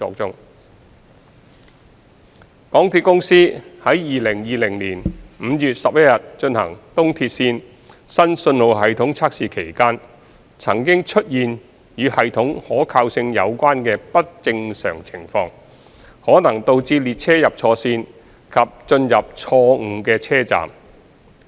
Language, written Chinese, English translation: Cantonese, 二港鐵公司在2020年5月11日進行東鐵綫新信號系統測試期間，曾經出現與系統可靠性有關的不正常情況，可能導致列車入錯線及進入錯誤的車站。, 2 During the tests of the new signalling system for the East Rail Line EAL conducted by MTRCL on 11 May 2020 there were system reliability related abnormalities which might cause a train to enter an incorrect route and an incorrect station